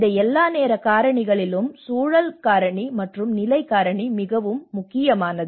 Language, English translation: Tamil, these all the time factor, the context factor and the position factor is very important